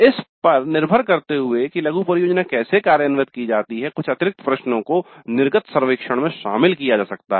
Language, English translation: Hindi, Depending upon how the mini project is implemented, some additional questions can be included in the exit survey